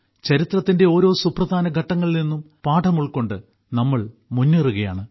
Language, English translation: Malayalam, We move forward, learning from every important stage of history